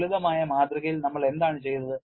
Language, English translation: Malayalam, And the simplistic model was what we did